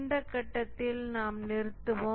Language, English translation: Tamil, We will stop at this point